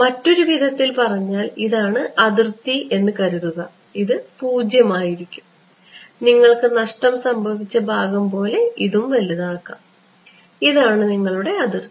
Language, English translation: Malayalam, So, in other words supposing this is the boundary over here right 0 and the loss part what you can do is you can increase the loss part like this right and the boundary sitting here this is your boundary